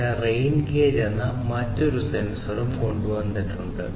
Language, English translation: Malayalam, Then, we I have also brought for you another sensor which is the rain gauge right